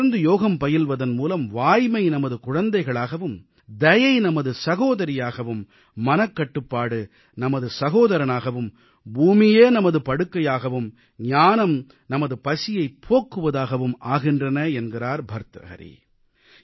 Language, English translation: Tamil, Bhartahari has said that with regular yogic exercise, truth becomes our child, mercy becomes our sister, self restraint our brother, earth turns in to our bed and knowledge satiates our hunger